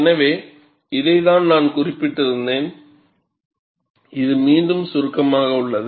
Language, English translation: Tamil, So, this is what I had mentioned, which is summarized again